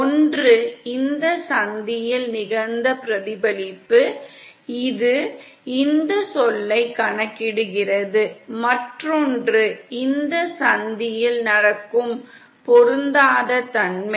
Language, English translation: Tamil, One is the reflection that has taken place at this junction which is accounted for this term, & other is the mismatch which is happening at this junction